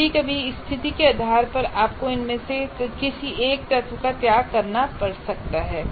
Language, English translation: Hindi, So sometimes depending on the situation, you may have to sacrifice one of these elements